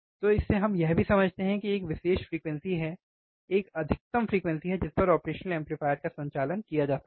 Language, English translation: Hindi, So, from that what we also understand that a particular frequency, the op amp cannot be operated, that is a maximum frequency at which the operational amplifier can be operated